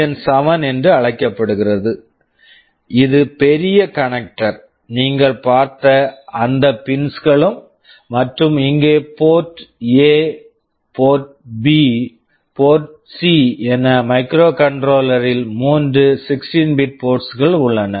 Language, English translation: Tamil, On the left side this is called CN7, this is the big connector, those pins you have seen, and here the Port A, Port B, Port C there are three 16 bit ports which are available in the microcontroller